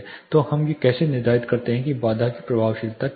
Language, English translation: Hindi, So, how do we determine what is the effectiveness of barrier